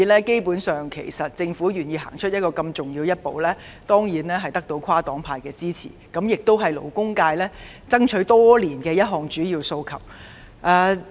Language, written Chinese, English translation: Cantonese, 基本上，政府願意走出如此重要的一步，當然得到跨黨派的支持，這亦是勞工界爭取多年的一項主要訴求。, Basically the Governments willingness to take such a crucial step will of course gain support across different parties and it is also a major demand of the labour sector which it has been fighting for years